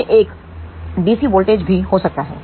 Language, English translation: Hindi, It can be even a DC voltage